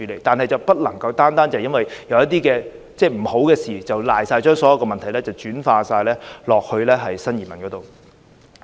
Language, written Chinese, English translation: Cantonese, 但是，不能單單因為有一些不好的事情發生了，便把所有問題完全推卸到新移民身上。, However we cannot put all the blames on new immigrants simply because something undesirable has been identified